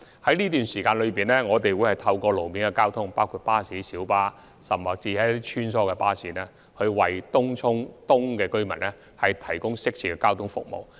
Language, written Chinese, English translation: Cantonese, 在這段時間，我們將會透過路面公共交通服務，包括巴士、小巴及穿梭巴士，為東涌東居民提供適切的交通服務。, During this time gap we will provide appropriate transport services to the residents of TCE by means of road - based public transport services including buses minibuses and shuttle buses